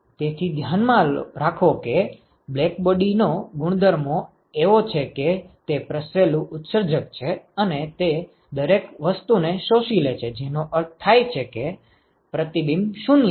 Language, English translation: Gujarati, So, keep in mind that the properties of black body are such that; it is a diffuse emitter and it absorbs everything which means reflection is 0 right